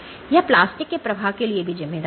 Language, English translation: Hindi, So, this is attributed to plastic flows